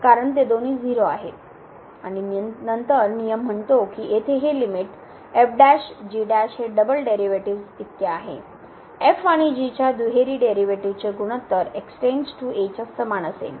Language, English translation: Marathi, Because they both are and then the rule says that this limit here prime prime will be equal to the double derivatives, the ratio of the double derivatives of and as goes to